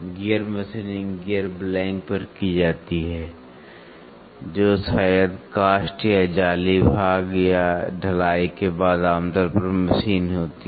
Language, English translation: Hindi, Gear machining is done on the gear blank, which maybe cast or forged part or after casting it is generally machines